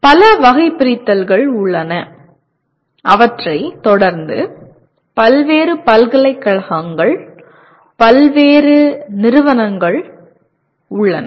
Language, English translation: Tamil, There are several taxonomies and they are followed by various universities, various organizations